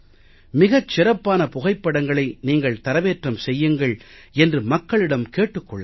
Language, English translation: Tamil, People should be encouraged to take the finest photographs and upload them